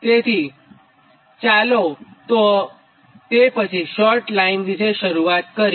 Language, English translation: Gujarati, so let us start with, after this, that short line thing